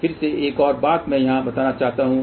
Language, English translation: Hindi, Again one more thing I want to mention here